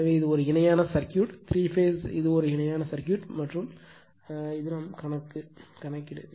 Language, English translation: Tamil, So, it is a basically parallel parallel, circuit right, three phase it is a parallel circuit and this is the your problem